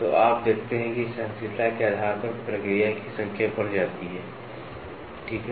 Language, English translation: Hindi, So, you see depending upon the tolerance, the number of process increases, right